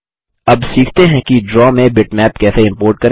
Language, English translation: Hindi, Now lets learn how to import a bitmap into Draw